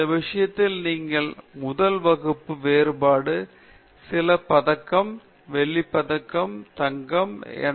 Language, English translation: Tamil, In this thing, you then put first class, distinction, some gold medal, silver medal, whatever